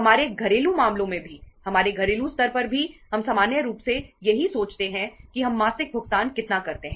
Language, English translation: Hindi, In the in the our say domestic affairs also at the our household level also we normally think of that how much payments we make monthly